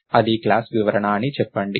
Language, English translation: Telugu, So, lets say that is the class description